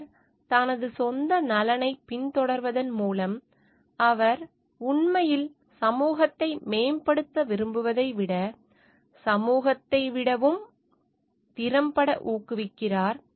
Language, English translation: Tamil, By pursuing his own interest he frequently promotes that of the society more effectually than when he really intends to promote it